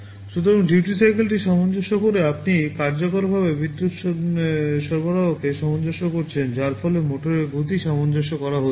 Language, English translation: Bengali, So, by adjusting the duty cycle you are effectively adjusting the power supply, thereby adjusting the speed of the motor